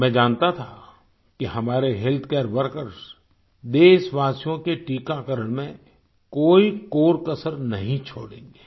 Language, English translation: Hindi, I knew that our healthcare workers would leave no stone unturned in the vaccination of our countrymen